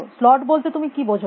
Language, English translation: Bengali, What do you mean by slot